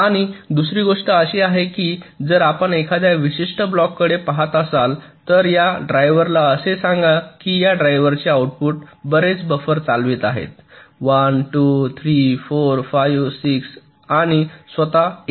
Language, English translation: Marathi, and the other thing is that if you look at a particular block, let say this driver, the output of this driver is driving so many buffers, one, two, three, four, five, six, seven and also itself eight